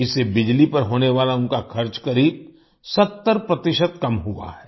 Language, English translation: Hindi, Due to this, their expenditure on electricity has reduced by about 70 percent